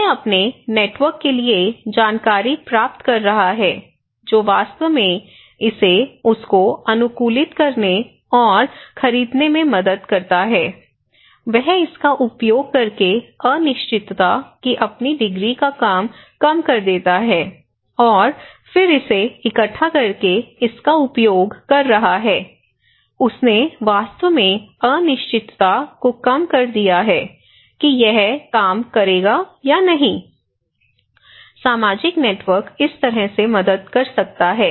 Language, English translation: Hindi, He is getting informations to his network that really helped him to adapt and buy this one so, he reduces his degree of uncertainty through using it, through collecting informations and now he is using it so, he really reduced uncertainty whether this will work or not, the social networks can help this way